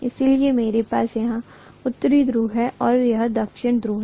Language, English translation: Hindi, So I am going to have North pole here, this is North pole and this is going to be South pole, right